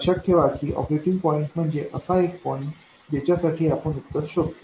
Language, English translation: Marathi, Remember, operating point is some point for which you find the solution